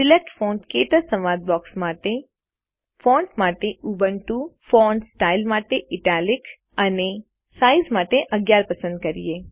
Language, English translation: Gujarati, In the Select Font KTouch dialogue box, let us select Ubuntu as the Font, Italic as the Font Style, and 11 as the Size